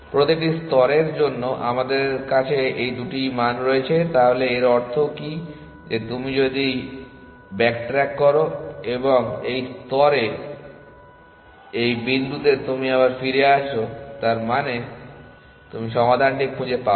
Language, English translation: Bengali, For every layer, we have f min these two values, so what is that mean that if you are back tracking and you are coming back to this point in this layer you not found the solution